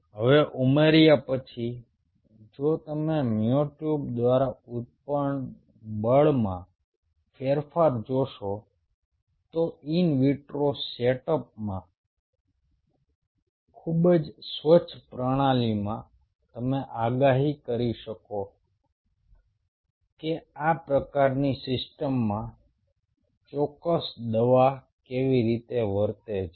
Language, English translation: Gujarati, now, upon adding, if you see the change in the force generated by the myotube, then in a very clean system, in vitro setup, you will be able to predict how a specific drug is going to behave in a system like this